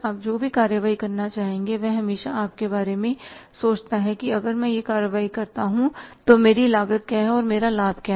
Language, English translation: Hindi, Whatever the action you want to take you always think about that if I take this action what is my cost, what is my benefit